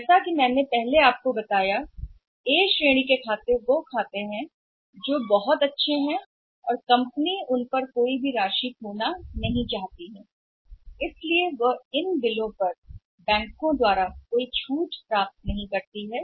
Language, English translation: Hindi, What happens as I told you that A category accounts are very good company does not want to lose any funds on that so that they do not get these bills discounted from the bank